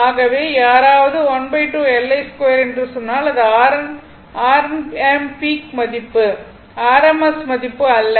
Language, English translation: Tamil, So, if somebody says half L I square means, it is R m peak value, not the rms value